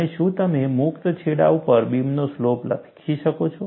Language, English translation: Gujarati, And, can you write the slope of the beam at the free end